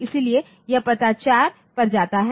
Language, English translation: Hindi, So, it goes to the address 4